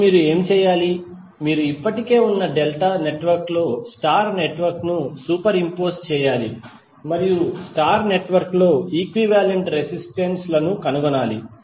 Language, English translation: Telugu, Now what you have to do; you have to superimpose a star network on the existing delta network and find the equivalent resistances in the star network